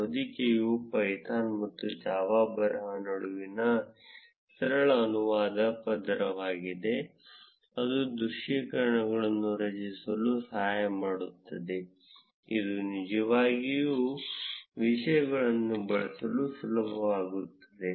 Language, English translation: Kannada, The wrapper is a simple translation layer between python and java script, which helps in creating visualizations, it really makes things easy to use